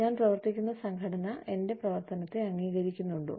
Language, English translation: Malayalam, Is the organization, that I am working for, recognizing my work